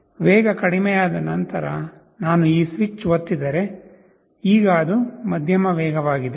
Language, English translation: Kannada, If I press this switch once the speed has decreased, now it is medium